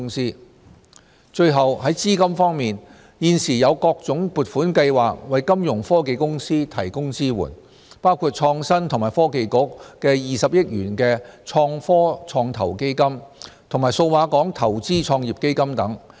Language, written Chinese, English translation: Cantonese, e 資金最後，在資金方面，現時有各種撥款計劃為金融科技公司提供支援，包括創新及科技局的20億元創科創投基金和數碼港投資創業基金等。, e Funding Finally as regards funding various funding schemes are available to provide support to Fintech companies including the 2 billion Innovation Technology Venture Fund launched by the Innovation and Technology Bureau and the Cyberport Macro Fund etc